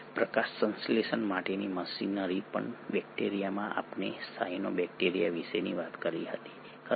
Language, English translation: Gujarati, Even the machinery for photosynthesis, in bacteria we spoke about the cyanobacteria, right